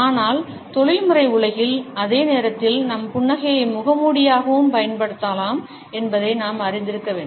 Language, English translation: Tamil, But at the same time in the professional world we have to be aware that our smile can also be used as a mask